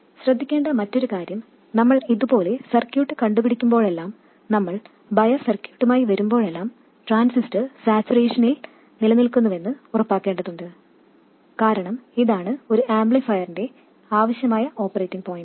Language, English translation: Malayalam, And also another thing to look at is whenever we invent a circuit like this, whenever we come up with a bias circuit, we have to make sure that the transistor remains in saturation because that is the desired operating point for an amplifier